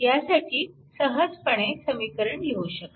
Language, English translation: Marathi, So, this will be your one equation right